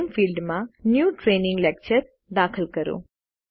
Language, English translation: Gujarati, In the Name field, enter New Training Lecture